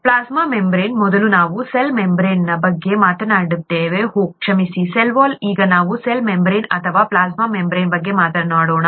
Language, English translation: Kannada, The plasma membrane; earlier we talked of the cell membrane, the, oh sorry, the cell wall, now let us talk of the cell membrane or the plasma membrane